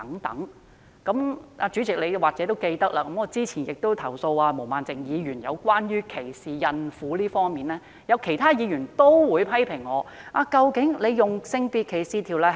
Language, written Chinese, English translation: Cantonese, 代理主席，你或許記得，我曾投訴毛孟靜議員歧視孕婦，但有議員批評我是否正確引用《性別歧視條例》？, Deputy President you may recall that I complained that Ms Claudia MO discriminated against pregnant women but some Members criticized whether I had cited SDO correctly